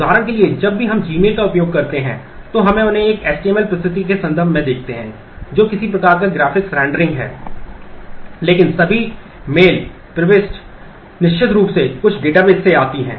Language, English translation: Hindi, For example, whenever we access say gmail, we get to see them in terms of an html presentation which is some kind of a graphics rendering, but the all the mail entry certainly come from some database